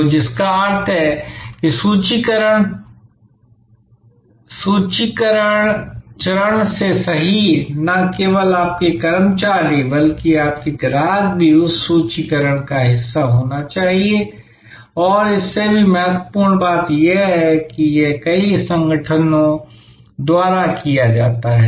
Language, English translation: Hindi, So, which means that right from the formulation stage, not only your employees, but even your customers should be part of that formulation and more importantly, this is done by many organizations